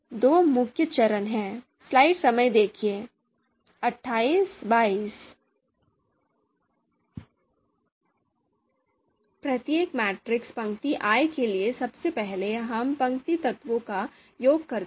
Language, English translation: Hindi, There are two main steps: So first for each matrix row i, you know we perform the summation of row elements